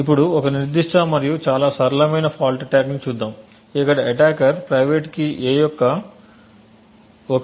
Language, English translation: Telugu, Now let us look at a particular and very simple fault attack where an attacker could determine 1 bit of a that is 1 bit of the private key a